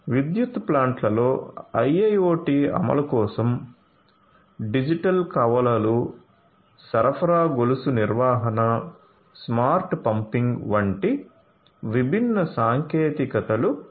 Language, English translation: Telugu, So, for IIoT implementation in the power plants different technologies such as digital twins such as supply chain management, smart pumping